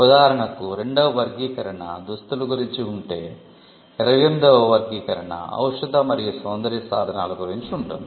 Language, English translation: Telugu, For example, class 2 deals with articles of clothing, and class 28 deals with pharmaceuticals and cosmetics